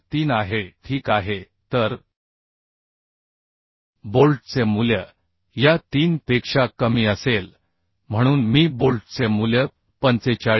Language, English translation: Marathi, 3 ok So the bolt value will be lesser of these three therefore I can write bolt value as 45